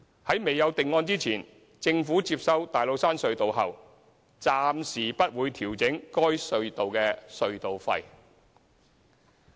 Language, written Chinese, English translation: Cantonese, 在未有定案前，政府接收大老山隧道後暫時不會調整該隧道的隧道費。, In the meantime the Government will not be adjusting the toll level of TCT upon its takeover of the tunnel